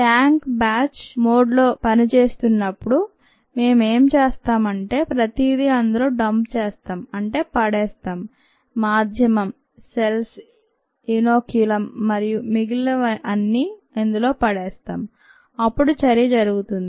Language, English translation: Telugu, when this stirred tank is operated in a batch mode, what is done is we dump everything in, that is, the medium, the cells, the inoculum, so on, so forth, and then the reaction takes place